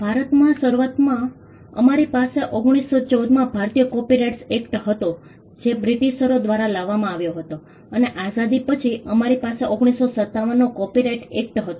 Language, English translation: Gujarati, In India initially we had the Indian copyrights act in 1914 which was brought in by the Britishers and post independence we had the copyright Act of 1957